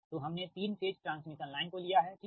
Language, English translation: Hindi, so will consider your three phase transmission line right